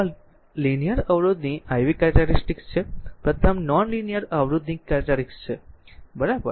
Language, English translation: Gujarati, So, this is the iv characteristic of a linear resistor the first one iv characteristic of a non linear resistor, right